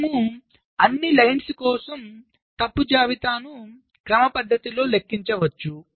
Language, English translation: Telugu, we can systematically compute the fault list for all the lines